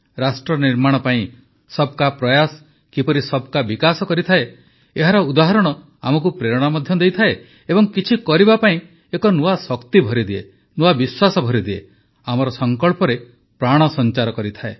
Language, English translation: Odia, The examples of how efforts by everyone for nation building in turn lead to progress for all of us, also inspire us and infuse us with a new energy to do something, impart new confidence, give a meaning to our resolve